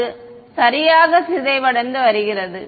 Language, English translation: Tamil, It is decaying right